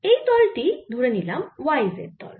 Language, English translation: Bengali, take the plane to be y z plane